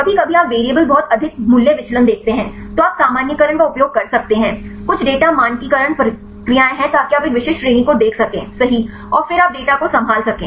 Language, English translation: Hindi, Sometimes you see the variables very high value deviation, then you can use the normalization are some data standardization procedures so that you can see a specific range right and then you can handle the data